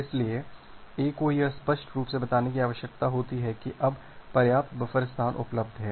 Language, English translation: Hindi, So, it need to explicitly tell to A that now sufficient buffer space is available